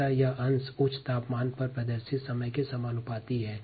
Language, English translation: Hindi, so fraction is directly proportion to the time of exposure at the high temperature